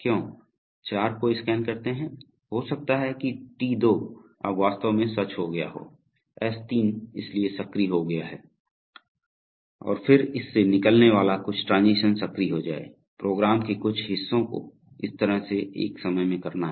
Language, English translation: Hindi, Why let scan four, it may happen that T2 is now actually become true, so therefore S3 has become active and then some a transition out going from it will become active, so this is, in this way certain parts of the program at a time becomes active as the system moves through the sequential function chart